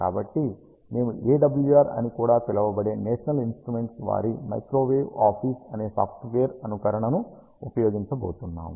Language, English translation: Telugu, So, we are going to use a simulation software named Microwave Office by ah national instruments also called as A W R